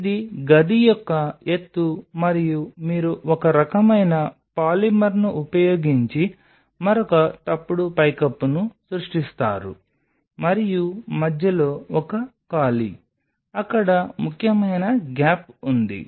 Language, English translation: Telugu, So, this is the height of the room and you just create another false roof using some kind of a polymer and in between there is a gap, a significant gap there